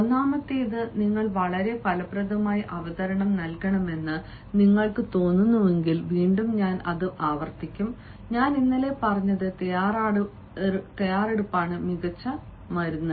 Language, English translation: Malayalam, first is, if you feel that you have to give a very fruitful presentation, again i will repeat same that i had said yesterday: preparation is the best antidote